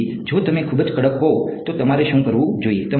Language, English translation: Gujarati, So, if you are very very strict what you should do